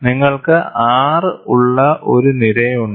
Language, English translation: Malayalam, There is a column, where you have R